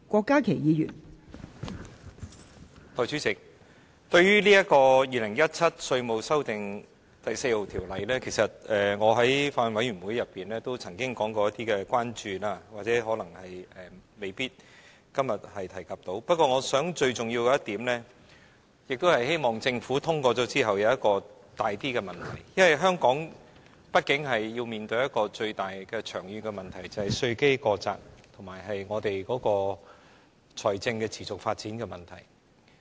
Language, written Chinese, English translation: Cantonese, 代理主席，對於《2017年稅務條例草案》，其實我在法案委員會曾經提出一些關注，今天未必能夠提及，不過，最重要的一點是，我希望政府在《條例草案》通過後，會處理香港所面對的較嚴重的長遠問題，就是稅基過窄和財政持續發展的問題。, Deputy Chairman regarding the Inland Revenue Amendment No . 4 Bill 2017 the Bill I have actually expressed some concerns in the Bills Committee; I may not be able to mention them today but the most important thing is that I hope the Government will after the passage of the Bill address the more serious long - term problems facing Hong Kong that is an overly narrow tax base and the financial sustainability problem